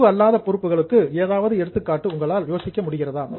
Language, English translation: Tamil, So, can you think of any examples of non current liability